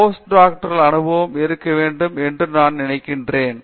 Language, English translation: Tamil, I think you should have postdoctoral experience